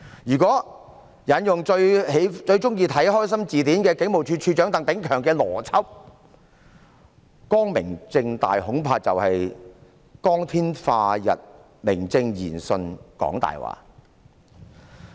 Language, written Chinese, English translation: Cantonese, 如果引用最喜歡看"開心字典"的警務處處長鄧炳強的邏輯，"光明正大"恐怕就是在光天化日之下，明正言順講大話。, If I apply the logic of Commissioner of Police TANG Ping - keung who loves the television programme called The Happy Dictionary I am afraid they are open and above board in the sense that they can lie openly in broad daylight